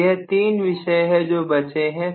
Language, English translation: Hindi, So, these are the 3 topics that are left over